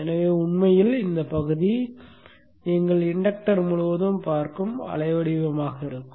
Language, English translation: Tamil, So this portion in fact would be the waveform that you would be seeing across the inductor